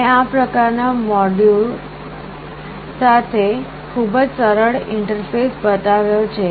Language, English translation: Gujarati, I have shown a very simple interface with this kind of module